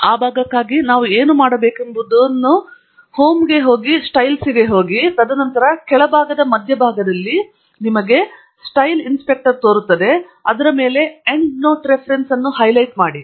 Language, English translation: Kannada, For that part, what we need do is go to Home, and go to Styles, and then, in the center of the bottom you have Style Inspector click on that and highlight the Endnote Reference